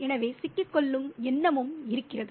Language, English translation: Tamil, So the idea of being trapped is also there